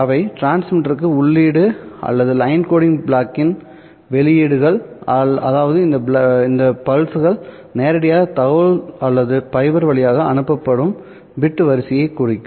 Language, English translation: Tamil, Remember these pulses which are input to the transmitter are the outputs of the line coding block, which means that these pulses directly represent the information or the bit sequence that would be transmitted over the fiber